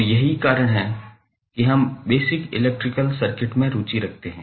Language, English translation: Hindi, So, that is why we were interested in another phenomena called basic electrical circuits